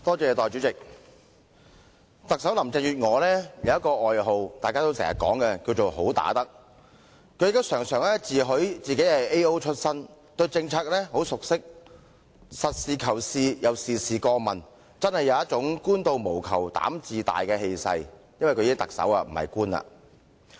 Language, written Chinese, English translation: Cantonese, 代理主席，特首林鄭月娥有一個廣為人知的外號，就是"好打得"，而她亦時常自詡為 AO 出身，對政策非常熟悉，實事求是而且事事過問，確有"官到無求膽自大"的氣勢——她現已成為特首，不再是官員。, Deputy President Chief Executive Carrie LAM has a well - known nickname of being a good fighter . As she has proclaimed from time to time having worked as an Administrative Officer she is well - versed in policies and practical and she attends to everything herself . Surely she has an air that a government official with no expectation is bold―she is now the Chief Executive but not a government official anymore